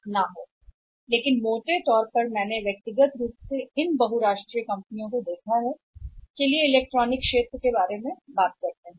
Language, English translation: Hindi, But largely these MNCs I have personally seen the these MNCs as largely we talk about the electronics sector